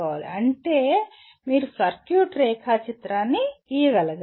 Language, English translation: Telugu, That means you should be able to draw a circuit diagram